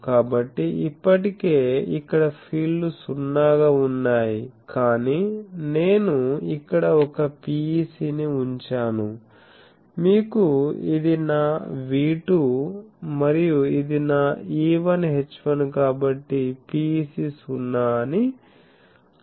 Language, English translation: Telugu, So, already here the fields were 0, but I have put a PEC here, you have this is my V2 and this is my E1 H1, so PEC I said 0 0